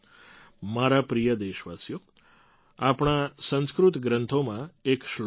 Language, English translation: Gujarati, My dear countrymen, there is a verse in our Sanskrit texts